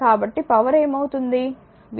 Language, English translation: Telugu, So, what will be the power